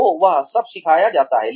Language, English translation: Hindi, So, all of that is taught